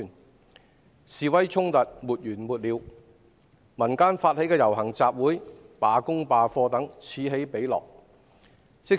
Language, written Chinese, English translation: Cantonese, 社會上的示威衝突沒完沒了，民間發起的遊行集會、罷工罷課等，此起彼落。, Demonstrations and conflicts in society are endless . Civilian - initiated processions labour strike and class boycott etc have emerged one after another